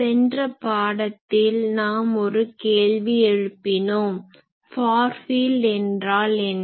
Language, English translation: Tamil, Welcome in the last class, we have raised the question that, what is the far field